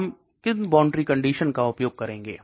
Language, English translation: Hindi, What are the boundary conditions we use